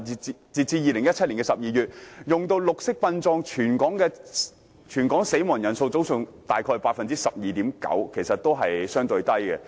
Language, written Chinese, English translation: Cantonese, 截至2017年12月，全港使用綠色殯葬的先人比例約佔 12.9%， 數字相對較低。, As at December 2017 about 12.9 % of all Hong Kong people have adopted green burial for the deceased which is a relatively low figure